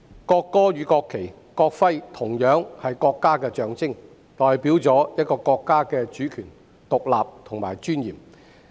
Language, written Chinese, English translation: Cantonese, 國歌、國旗及國徽同樣是國家的象徵，代表一個國家的主權、獨立和尊嚴。, National anthem national flag and national emblem are all symbols of a country representing its sovereignty independence and dignity